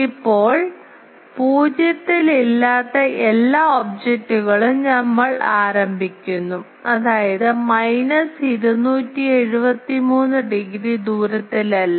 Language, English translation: Malayalam, Now, we start that every object which is not at absolute 0; that means, not at minus 273 degree radius energy